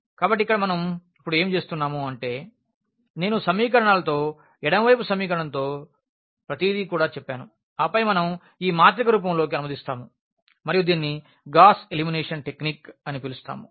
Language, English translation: Telugu, So, here what we do now that the left hand side with the equations as I said also everything with the equation and then we will translate into the form of this matrix and so called the Gauss elimination technique